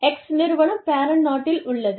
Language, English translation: Tamil, Firm X, is in the parent country